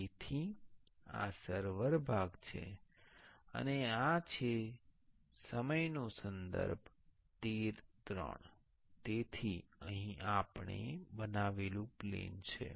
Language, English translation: Gujarati, So, this is the server part and this is the